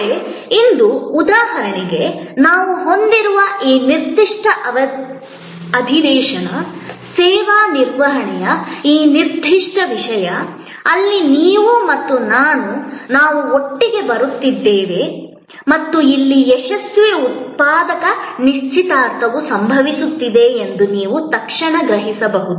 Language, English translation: Kannada, But, today take for example, this particular session, which we are having, this particular topic on service management, where you and I, we are coming together and you can immediately perceived that here a successful productive engagement will happen